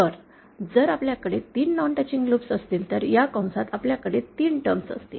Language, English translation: Marathi, So, if we have 3 non touching loops, we will have 3 terms within this bracket